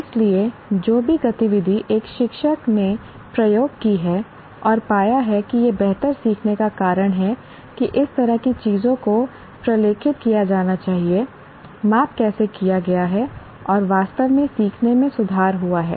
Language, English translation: Hindi, So whatever activity that a teacher has experimented and found that it led to better learning, that kind of thing should be documented, how the measurement has been done and established truly there has been an improvement in the learning